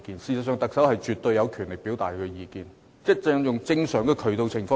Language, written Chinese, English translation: Cantonese, 事實上，特首絕對有權表達意見，他可以循正常渠道這樣做。, In fact the Chief Executive has every right to express his views so long as he does so through normal channels